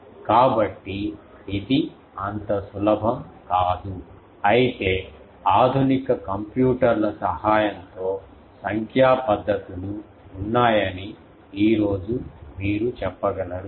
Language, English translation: Telugu, So, it is not so easy, though today you can say that with the help of modern computers there are numerical methods